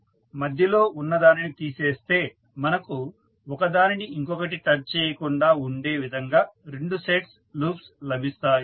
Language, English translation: Telugu, So, out of that if you remove the middle one you will get two sets of loops which are not touching to each other